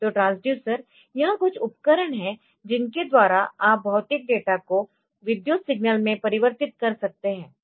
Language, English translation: Hindi, So, transducer means, this is some device by which you can convert physical data into a say into a electrical signal